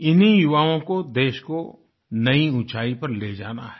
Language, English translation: Hindi, These are the very people who have to elevate the country to greater heights